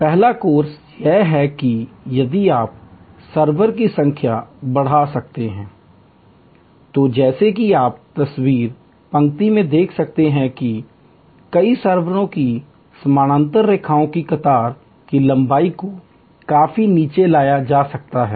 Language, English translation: Hindi, The first of course is that, if you can increase the number of serversů So, as you can see in the third line, parallel lines to multiple servers the queue length can be significantly brought down